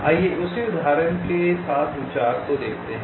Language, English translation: Hindi, ok, let see the concept with the same example